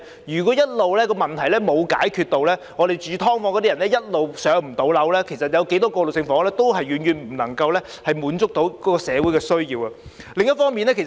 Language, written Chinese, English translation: Cantonese, 如果問題一直沒有解決，居住在"劏房"的人一直無法"上樓"，那麼不論有多少過渡性房屋，亦遠遠無法滿足社會的需要。, If the problems still remain unresolved and those living in subdivided units are still not allocated any PRH flats the needs of the community can hardly be met no matter how many transitional housing units have been provided